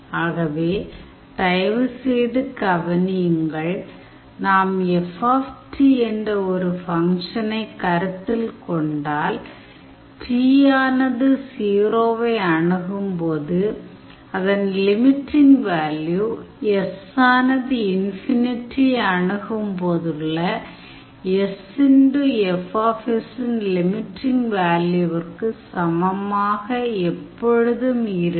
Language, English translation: Tamil, So, please note this thing that if I take a function F t, the limiting value st approaches 0 always will be equals to the value of the function limiting value of the function sf s whenever s approaches infinity